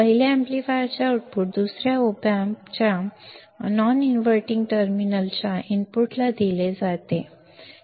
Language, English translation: Marathi, The output of the first amplifier is fed to the input of the non inverting terminal of the second opamp right